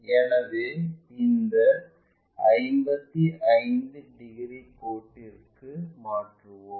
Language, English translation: Tamil, So, let us transfer that all the way to this 55 degrees line